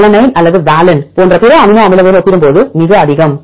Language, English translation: Tamil, So, this is why red is very high compared with other amino acids like alanine or valine